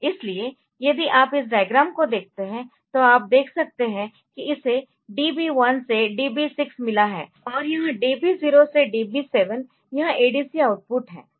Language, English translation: Hindi, So, that n equal to 8 bit so, if you look into this diagram, you can see that it has got DB 1 to DB 6, and this DB 0 to DB 6 DB 7 so, this is the ADC output